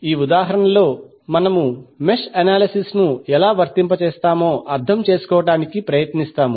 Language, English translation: Telugu, In this example, we will try to understand how we will apply the mesh analysis